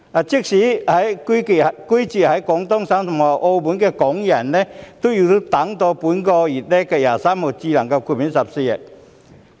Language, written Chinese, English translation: Cantonese, 即使是居住在廣東省及澳門的香港人，亦要到本月23日才獲豁免14天強制檢疫。, Even Hong Kong people living in Guangdong Province and Macao will have to wait till 23 of this month to be exempted from the 14 - day compulsory quarantine requirement